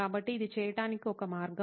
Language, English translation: Telugu, So this is one way of doing it